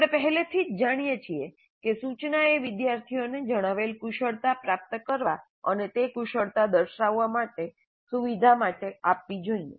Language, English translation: Gujarati, We already know that instruction must facilitate students to acquire the competencies stated and demonstrate those competencies